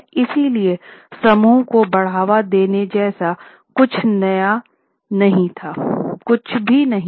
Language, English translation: Hindi, So, there was nothing like promoting group